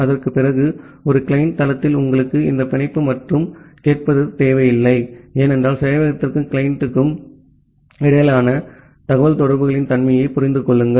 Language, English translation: Tamil, And after that at a client site you do not require this bind and listen, because just understand the nature of the communication between the server and the client